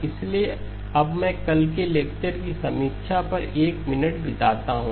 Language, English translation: Hindi, So now I spend a minute or so on the review of yesterday's lecture